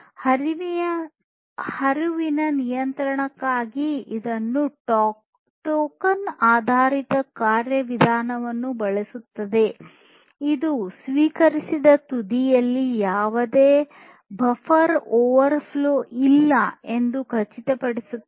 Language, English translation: Kannada, It uses token based mechanism for flow control, which ensures that there is no buffer overflow at the receiving end